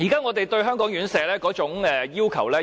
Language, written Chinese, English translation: Cantonese, 我十分現實，已經降低對香港院舍的要求。, I have been very practical and have already lowered my standard of care homes in Hong Kong